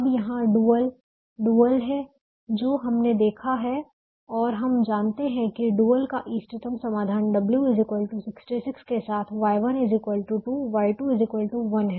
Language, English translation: Hindi, now here is the dual which we have seen, and we know that the optimum solution to the dual is y one equal to two, y to equal to one, with w equal to sixty six